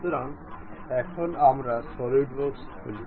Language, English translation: Bengali, So, now let us open the solidworks